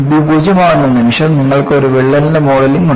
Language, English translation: Malayalam, The moment when you make b tends to 0; you have the modeling of a crack